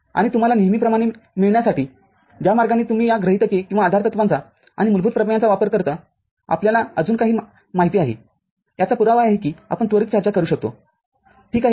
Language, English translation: Marathi, And to get you accustomed with the way you use these axioms or postulates and basic theorems we have few more you know, proof that we can quickly discuss, ok